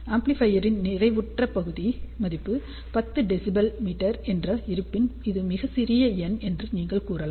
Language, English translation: Tamil, Suppose if the amplifier has a saturated value of let us say 10 dBm, you can say that this is very very small number